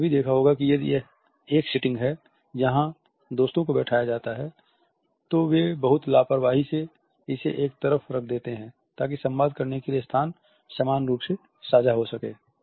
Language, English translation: Hindi, You might have also noticed that if it is a seating where friends are seated, they would be very casually putting this sitting aside so, that to communicate the day space which is between them is equally shared